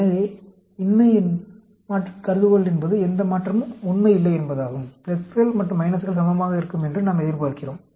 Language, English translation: Tamil, So, if the null hypothesis is, no change is true, we expect pluses and minus to be equal